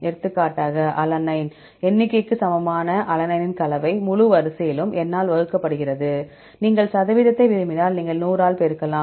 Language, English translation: Tamil, For example, alanine composition of alanine equal to number of alanine, in the whole sequence divided by n, if you want to percentage, you can multiplied by 100